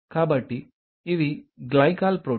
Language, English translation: Telugu, So, these are Glycol Protein